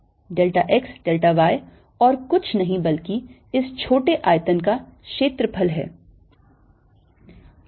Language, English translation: Hindi, what is delta x, delta y, delta x, delta y is nothing but the area of this small rectangle